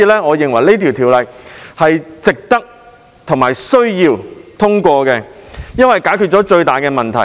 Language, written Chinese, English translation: Cantonese, 我認為這項《條例草案》是值得和需要通過的，因為它解決了最大的問題。, I think it is both worthy and necessary to pass this Bill because it resolves the greatest problem